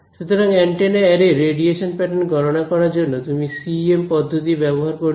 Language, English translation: Bengali, So, calculate the radiation pattern of on the antenna array, so you would use CEM techniques